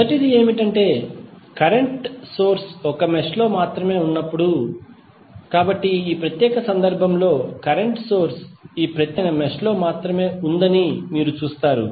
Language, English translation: Telugu, First one is that when current source exist only in one mesh, so in this particular case you will see that the current source exist only in this particular mesh